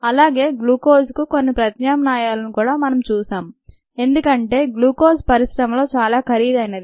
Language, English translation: Telugu, we saw some alternative of glucose because glucose is expensive